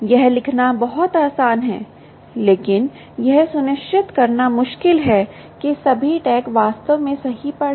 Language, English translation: Hindi, its very easy to write this, but difficult to ensure that all tags are actually read right